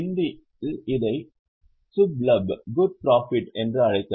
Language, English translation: Tamil, In Hindi we can call it as a shubha lab